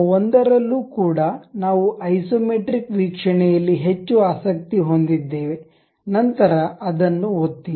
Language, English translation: Kannada, In that single one also, we are more interested about isometric view, then click that